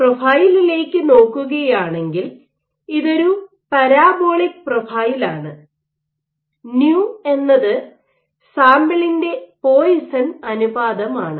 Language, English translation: Malayalam, If you look at the profile, this is a parabolic profile, nu is the Poisson’s ratio of the sample